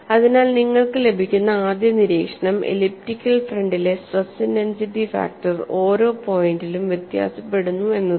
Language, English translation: Malayalam, So first observation you get is the stress intensity factor on the elliptical front varies from point to point and you have a minimum as well as the maximum value